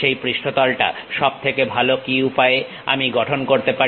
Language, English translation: Bengali, What is the best way I can really construct that surface